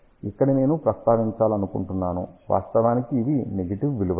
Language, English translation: Telugu, I just want to mention here, these are actually negative value